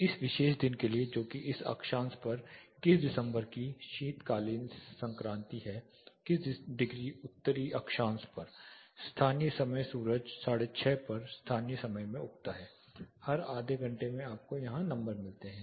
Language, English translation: Hindi, So, for this particular day that is 21st December winter solstice at this latitude 29 degrees north latitude the local time sun rise at 7:30 so every half an hour you get the numbers here